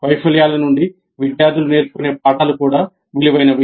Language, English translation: Telugu, The lessons that the students draw from the failures are also valuable